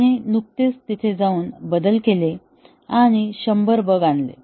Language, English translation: Marathi, He just went there and made changes and introduced 100 bugs